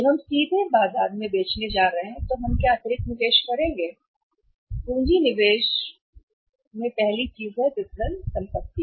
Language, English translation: Hindi, When we are going to sell directly in the market what additional investment we are going to make here and that will be say capital investment first thing is the capital investment in capital investment in the marketing assets